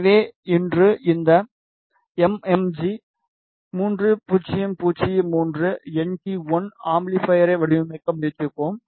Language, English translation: Tamil, So, today we will try to design this MMG 3003NT1 amplifier